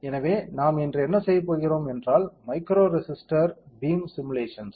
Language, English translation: Tamil, So, what we going to do today is about we will be simulating micro resistor beam, what is it